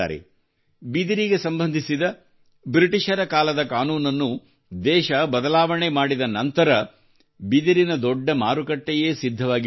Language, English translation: Kannada, Ever since the country changed the Britishera laws related to bamboo, a huge market has developed for it